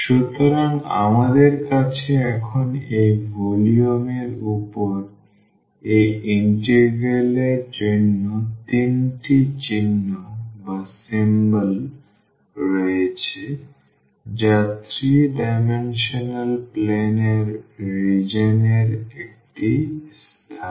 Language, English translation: Bengali, So, we have now the 3 symbols for this integral over that volume here which is a space in region in the 3 dimensional plane